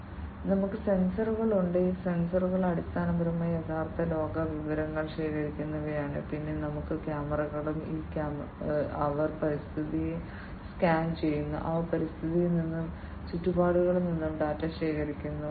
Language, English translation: Malayalam, We have sensors; these sensors basically are the ones that gather real world information, then we have also the cameras and these cameras they scan the environment, they collect the data from the environment, from the surroundings